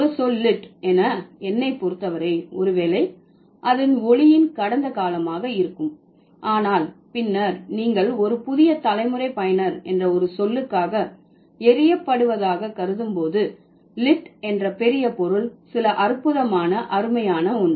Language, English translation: Tamil, Lit as a word, it doesn't, for me, probably it will be the past tense of light, but then when you consider lit as a word for a new generation user, lit means something great, something wonderful, something fantastic